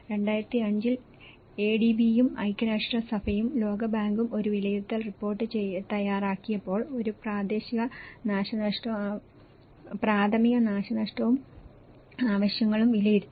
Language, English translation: Malayalam, In 2005, when the ADB and United Nations and World Bank have made an assessment report, a preliminary damage and needs assessment